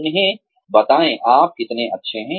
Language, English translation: Hindi, Let them know, how good you are